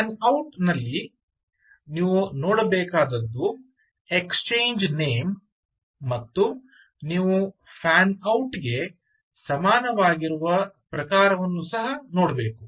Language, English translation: Kannada, ok, in fan out, what you should look for is the exchange name and you should also look out for the type, which is which is equal to the fan out